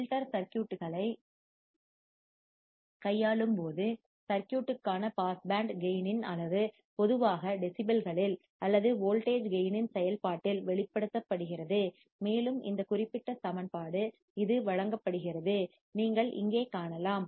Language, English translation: Tamil, When dealing with the filter circuits, the magnitude of the pass band gain of circuit is generally expressed in decibels or function of voltage gain and it is given by this particular equation, which you can see here